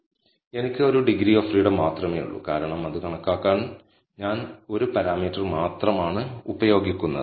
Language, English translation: Malayalam, So, I have only one degrees of freedom, since, I am using only one parameter to compute it